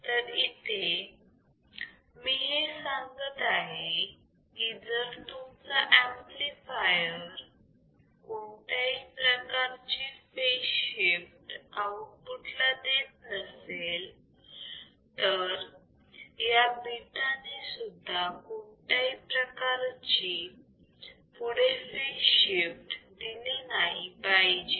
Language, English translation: Marathi, So, what I am saying is if your amplifier has no phase shift the output is in phase with respect to input; then this beta should not give should not give any further phase shift